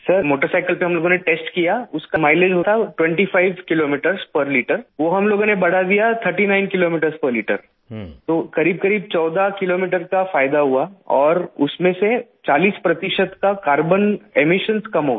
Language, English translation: Hindi, Sir, we tested the mileage on the motorcycle, and increased its mileage from 25 Kilometers per liter to 39 Kilometers per liter, that is there was a gain of about 14 kilometers… And 40 percent carbon emissions were reduced